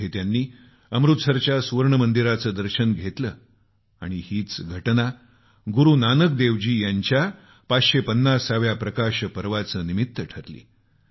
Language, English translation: Marathi, There in the Golden Temple itself, they undertook a holy Darshan, commemorating the 550th Prakash Parv of Guru Nanak Devji